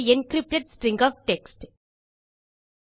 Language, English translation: Tamil, An encrypted string of text